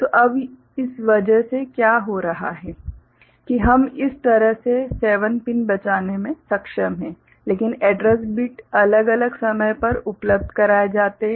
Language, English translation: Hindi, So, what is happening now because of this that we are able to save 7 such pins, but the address bits are made available at different point of time